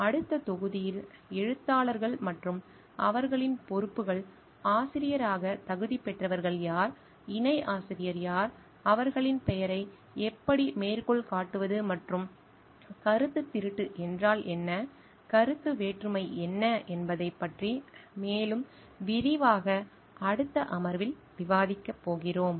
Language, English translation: Tamil, In the next module, we are going to discuss more about this the authors and their responsibilities, who qualifies to be an author, who is a co author, how to cite their names and what plagiarism is, what conflict of interest is in more details in the next session